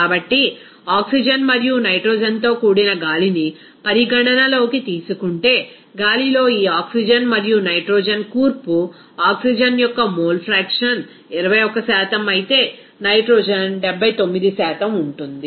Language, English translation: Telugu, So, if we consider that air that is composed of oxygen and nitrogen where this oxygen and nitrogen composition in the air will be mole fraction of the oxygen will 21% whereas nitrogen will be 79%